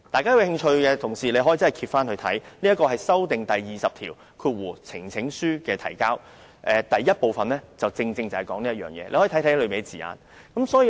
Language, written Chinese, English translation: Cantonese, 有興趣的同事可以翻閱《議事規則》第20條關於呈請書的提交的修訂條文，議員可以看清楚當中的字眼。, Colleagues who are interested may look up RoP 20 regarding the amended provision on presentation of petitions . Members may examine the wording therein clearly